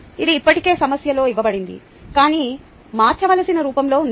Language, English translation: Telugu, its already given in the problem, but in a form that needs to be converted